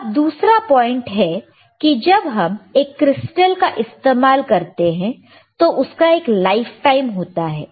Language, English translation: Hindi, So, now another point is that, when we are using crystal it has a, it has a lifetime